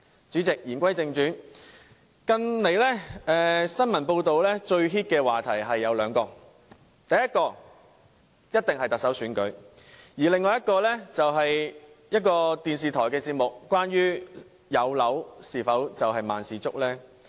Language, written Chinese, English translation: Cantonese, 主席，言歸正傳，近來最熱門的時事話題有兩件事，第一當然是特首選舉，另外就是某電視台一個有關有樓是否萬事足的節目。, Let me revert to todays topic President . Recently there are two hottest issues in town one being the Chief Executive election and the other a television programme exploring whether acquisition of ones own home really means everything